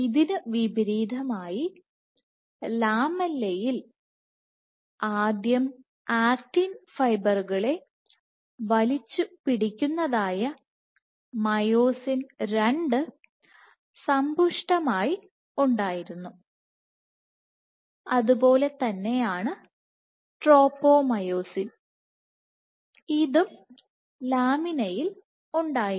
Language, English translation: Malayalam, In contrast myosin II which actually pulls on actin, which pulls on actin fibers first enriched in lamella and same was tropomyosin this was also present in lamina